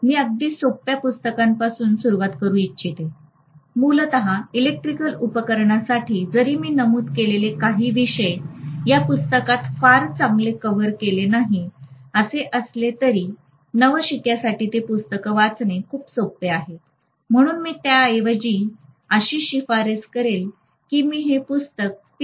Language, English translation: Marathi, I would like to start with simplest of books, basically for electrical machines, although some of the topics I mentioned may not be covered very well in this book, nevertheless for a beginner it is very very easy to read that book so I would rather recommend that book, this book is written by P